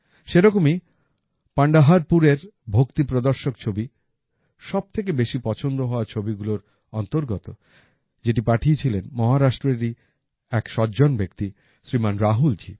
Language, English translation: Bengali, Similarly, a photo showing the devotion of Pandharpur was included in the most liked photo, which was sent by a gentleman from Maharashtra, Shriman Rahul ji